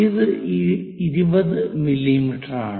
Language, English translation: Malayalam, This is 20 mm